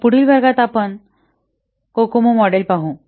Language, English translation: Marathi, So in the next class we will see that Cocoa model